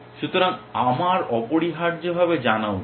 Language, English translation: Bengali, So, I should able to know that essentially